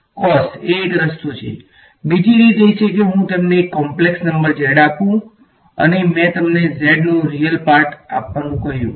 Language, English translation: Gujarati, Cos is one way, another way would be supposing I give you a complex number z and I asked you give me a real part of z